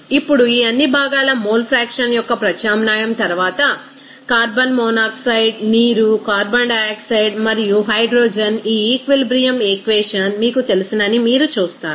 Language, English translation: Telugu, Now, after substitution of mole fraction of all these components carbon monoxide, water, carbon dioxide and hydrogen you will see that this you know that in this equilibrium equation